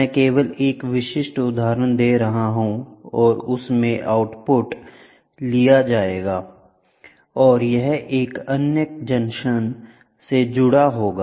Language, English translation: Hindi, I am just giving a typical example and the output will be taken and this will be connected to other junction